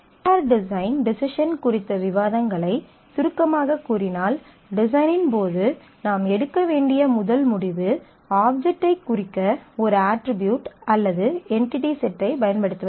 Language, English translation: Tamil, So, if we summarize the discussions on the E R design decisions; we see that the first decision that we need to take in case of design is the use of an attribute or entity set to represent the object